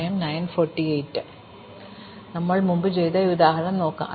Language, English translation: Malayalam, So, let us look at this example that we did before